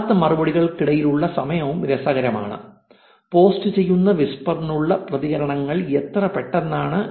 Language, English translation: Malayalam, Time between original replies this is also interesting thing how quickly are the responses to whisper that is posted